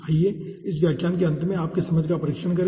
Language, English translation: Hindi, okay, let us test your understanding at the end of this lecture